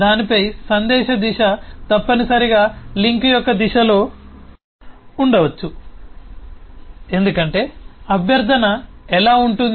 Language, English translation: Telugu, the message direction on that could be in the direction of the link